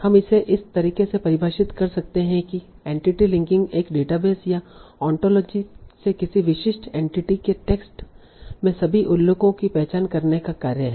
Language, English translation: Hindi, So we can define it in this manner that entity linking is the task of identifying all mentions in text of a specific entity from a database or an ontology